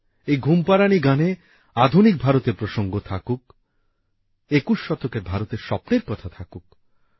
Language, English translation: Bengali, In these lullabies there should be reference to modern India, the vision of 21st century India and its dreams